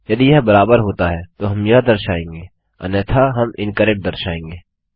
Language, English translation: Hindi, If it is matching then we can display this otherwise we can display incorrect